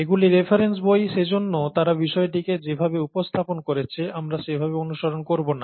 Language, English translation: Bengali, These are reference books, so we won't be following them in the way they have addressed the subject and so on so forth